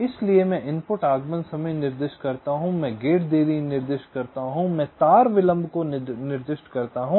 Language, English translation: Hindi, so i specify the input arrival times, i specify the gate delays, i specify the wire delays